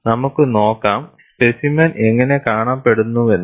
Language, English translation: Malayalam, And let us see, how the specimen looks like